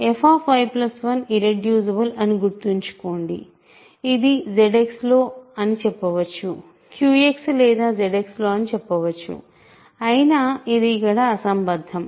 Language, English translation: Telugu, Remember, f y plus 1 is irreducible, again in Z X I can say, in Q X or Z X its irrelevant here